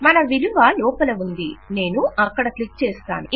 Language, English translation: Telugu, We have our value in and I click there